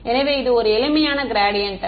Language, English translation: Tamil, So, it's a simple gradient